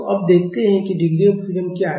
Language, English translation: Hindi, So, now, let us see what a degree of freedom is